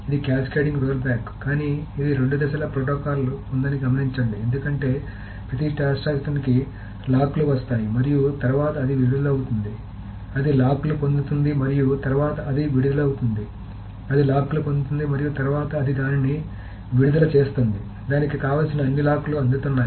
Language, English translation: Telugu, But note that this is in the two phase protocol because for every transaction it gets the locks and then it releases it, it gets the locks and then it releases it, it gets the locks and then it is getting all the logs that it wants